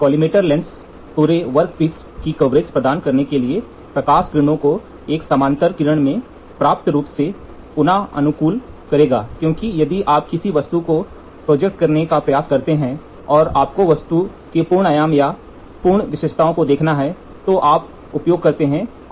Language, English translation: Hindi, The collimator lens will reorient at the light rays into a parallel beam large enough in diameter to provide the coverage of the entire workpiece because if you try to project an object and you have to see the full dimensions full features of the object, then we use a collimator lens